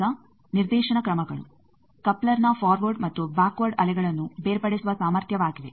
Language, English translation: Kannada, Now, directivity measures couplers ability to separate forward and backward waves